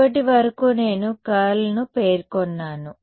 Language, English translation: Telugu, So, far I have specified the curl